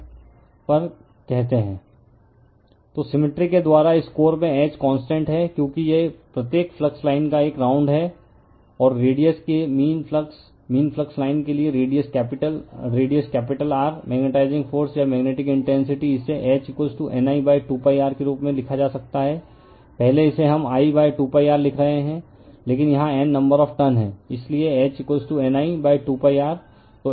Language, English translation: Hindi, So, by symmetry, H in this core is constant, because it is a right round each flux line and for the mean flux your mean flux line of radius capital radius capital R, the magnetizing force or magnetic intensity right, it can be written as H is equal to N I upon 2 pi R